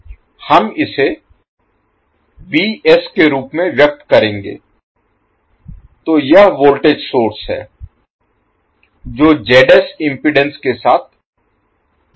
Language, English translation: Hindi, We will express it as Vs, so this is voltage source in series with Zs that is impedance